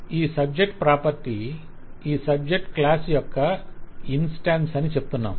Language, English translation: Telugu, so we are saying that this subject property is an instance of this subject plus